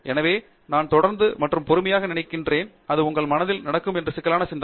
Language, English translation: Tamil, So, I think persistence and patience, and it is a complicated thinking that is happening in your mind